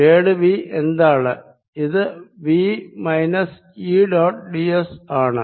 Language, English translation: Malayalam, this is v minus e dot d s